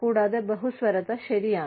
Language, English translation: Malayalam, And, pluralism is okay